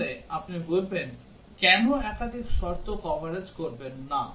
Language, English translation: Bengali, Then you would say that why not do the multiple condition coverage